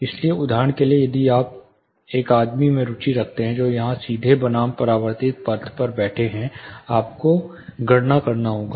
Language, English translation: Hindi, So, for example, if you are interested in a guy here, sitting here the direct path versus the reflected path, you have to calculate